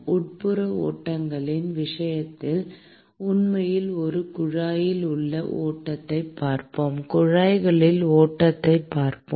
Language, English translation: Tamil, In the case of internal flows we will actually look at flow within a tube we will look at flow in tubes